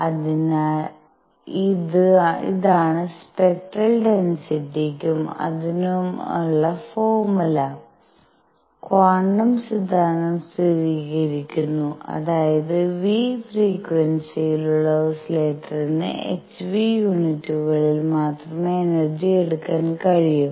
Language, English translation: Malayalam, So, this is the formula for the spectral density and it confirms quantum hypothesis that is that the oscillator with frequency nu can take energies only in units of h nu